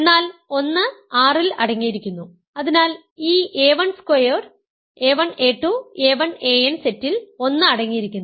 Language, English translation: Malayalam, But 1 is contained in R; so 1 is contained in this set a 1 squared, a 2, a 1 a 2, a 1 a n